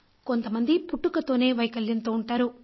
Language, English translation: Telugu, Some people are born with some defects